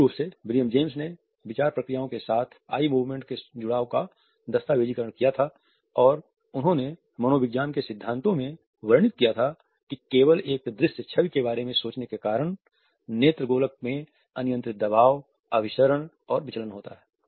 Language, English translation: Hindi, William James had originally documented the association of eye movements with the thought processes and he had described in principles of psychology that merely thinking about a visual image caused if fluctuating play of pressures, convergences, divergences and accommodations in eyeballs